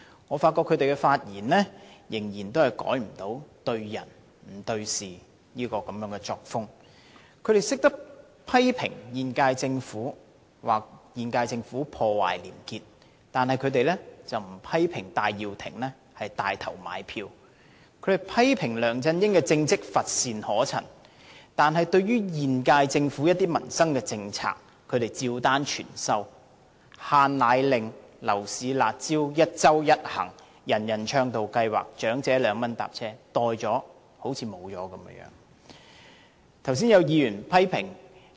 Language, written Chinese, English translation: Cantonese, 我發覺他們仍然無法改變"對人不對事"的作風。他們懂得批評現屆政府破壞廉潔，卻沒有批評戴耀廷牽頭"買票"；他們批評梁振英的政績乏善可陳，但對於現屆政府一些民生政策，他們卻照單全收，包括"限奶令"、樓市"辣招"、一周一行、"人人暢道通行"計劃、長者2元乘車優惠，接受後仿如沒了一樣。, They condemn the current Government for destroying the citys probity but not criticize Benny TAI for taking to lead in buying votes; they condemn LEUNG Chun - ying for performing poorly yet they accept almost all the policies on the peoples livelihood introduced by the incumbent Government including powdered formula restriction order the curb measures in the property market the one trip per week arrangement the Universal Accessibility Programme and the concession scheme of 2 per trip for the elderly